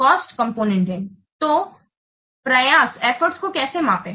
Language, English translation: Hindi, So how to measure the effort